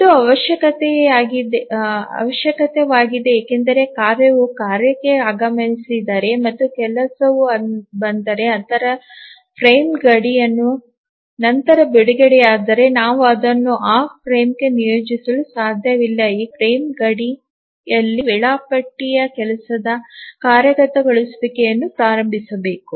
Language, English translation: Kannada, To think of it why this is necessary is that if the task arrives the job the task instance or the job arrives or is released after the frame boundary then we cannot assign that to that frame because at the frame boundary the scheduler must initiate the execution of the job